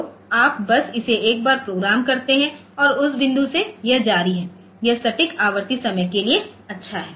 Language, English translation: Hindi, So, you just programme it once and from that point onwards it continues, it it is good for precise recurring timing